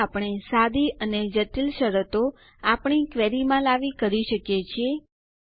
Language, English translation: Gujarati, This is how we can introduce simple and complex conditions into our query